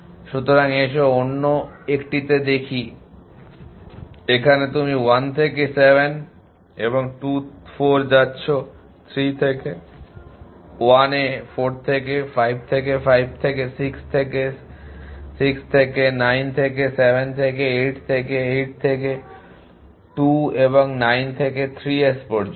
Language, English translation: Bengali, So, let us to the other 1 in the other 1 you going from 1 to 7 from 2, 4 from 3 to 1 from 4 to 5 from 5 to 6 from 6 to 9 from 7 to 8 from 8 to 2 and from 9 to 3 S